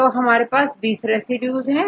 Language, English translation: Hindi, Now, we can have the 20 residues